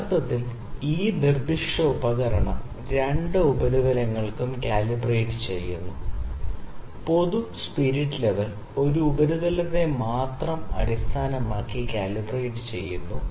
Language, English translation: Malayalam, So, actually this specific instrument is calibrated for both the surfaces, in general spirit level is calibrated based on only one surface